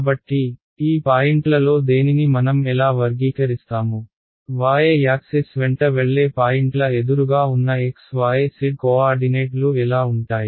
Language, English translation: Telugu, So, how will I characterise any of these points, what will be the x y z coordinates of obverse of a points that goes along the y axis